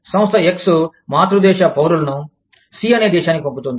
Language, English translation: Telugu, Firm X, sends the parent country nationals, to country C